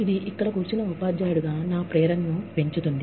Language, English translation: Telugu, That enhances my motivation, as a teacher, sitting here